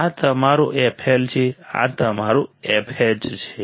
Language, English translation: Gujarati, This is your f L this is your f H right